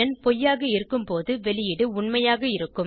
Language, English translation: Tamil, And when the condition is false the output will be true